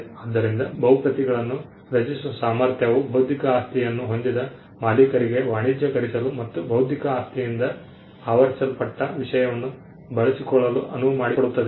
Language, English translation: Kannada, So, the ability to create multiple copies allows the intellectual property right owner to commercialize and to exploit the subject matter covered by intellectual property